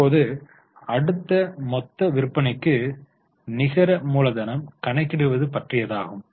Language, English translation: Tamil, Now the next is net working capital to total sales